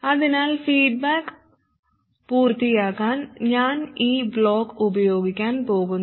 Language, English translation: Malayalam, So I am going to use this block to complete the feedback